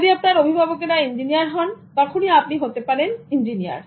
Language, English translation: Bengali, If your parents are engineers, then you can also become an engineer